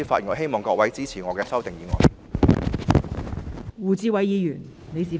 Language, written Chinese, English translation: Cantonese, 我希望各位支持我提出的修正案。, I hope all Honourable colleagues will support my amendments